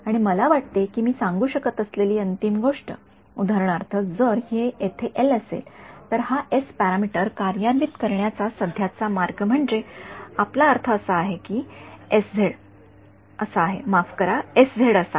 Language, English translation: Marathi, And I think the final thing that I can say for example, if this is L over here a typical way of implementing this S parameter right now we are our interpretation is that s z is like this sorry s z is like this